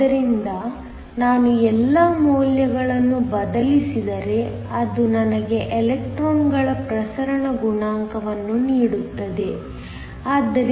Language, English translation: Kannada, So, if I substitute the all the values this gives me the diffusion coefficient of the electrons so, 3